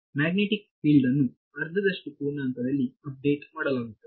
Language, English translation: Kannada, So, then the magnetic field is updated at half integer right